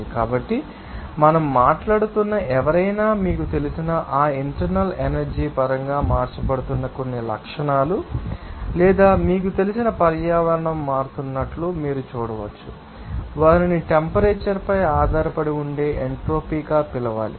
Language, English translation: Telugu, So, anybody we are talking about the, you know, some characteristics which are being changed in terms of that internal energy or you can see that some you know environment will be changing who should be called as the entropy that depends on the temperature